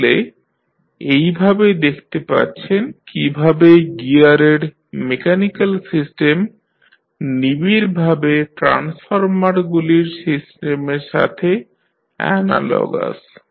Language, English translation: Bengali, So, in this way you can see that how closely the mechanical system of gears is analogous to the electrical system of the transformers